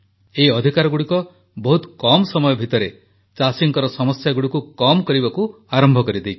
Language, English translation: Odia, In just a short span of time, these new rights have begun to ameliorate the woes of our farmers